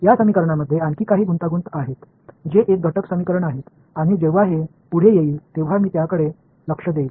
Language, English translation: Marathi, There are further complications with these equations these constitutive equations and I will point them out when we come across ok